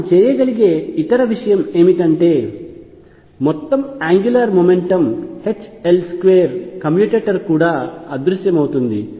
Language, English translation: Telugu, What other thing we can do is that the total angular momentum L square commutator also vanishes